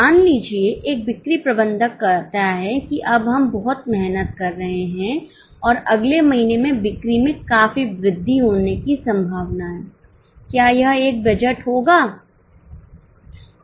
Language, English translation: Hindi, Suppose a sales manager says that now we are working very hard and the sales are likely to increase substantially in the next month